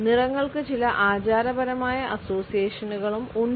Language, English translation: Malayalam, Colors also have certain customary associations